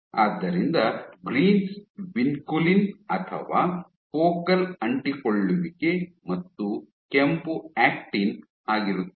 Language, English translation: Kannada, So, the greens are vinculin or focal adhesion and the red is actin